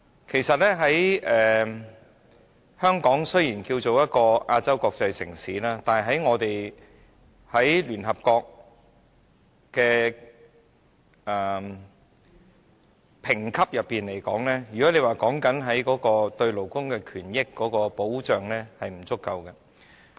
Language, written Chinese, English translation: Cantonese, 其實，香港雖然號稱亞洲國際城市，但在聯合國的評級上來說，如果就勞工權益保障而言，是不足夠的。, In fact although Hong Kong claims to be Asias world city in terms of the rankings by the United Nations and the protection of labour rights not enough has been done